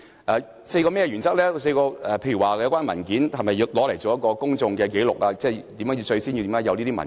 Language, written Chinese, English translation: Cantonese, 該4項原則包括，有關文件是否用作公眾紀錄，即當初為何要提交這些文件？, The four principles in question pertain to the following considerations Are the relevant documents used as public records or why should these documents be produced in the first place?